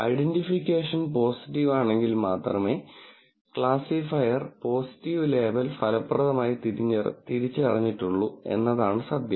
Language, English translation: Malayalam, So, the classifier has effectively identified a positive label only if the identification is positive and that is the truth